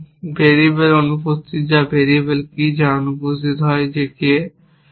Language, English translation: Bengali, What are the variables which are missing the variables, which are missing are that